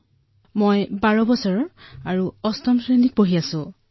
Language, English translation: Assamese, I am 12 years old and I study in class 8th